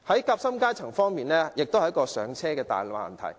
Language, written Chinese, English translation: Cantonese, 夾心階層同樣面對"上車"的大難題。, The sandwich class is likewise faced with the major difficulty of achieving home ownership